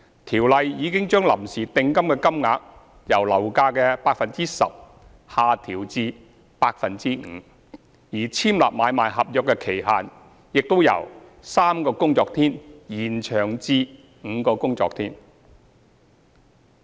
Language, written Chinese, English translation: Cantonese, 《條例》已將臨時訂金的金額由樓價的 10% 下調至 5%， 而簽立買賣合約的期限亦已由3個工作天延長至5個工作天。, Under the current Ordinance the amount of preliminary deposit has already been lowered from 10 % to 5 % of the purchase price whereas the time limit for signing ASP has been extended from three to five working days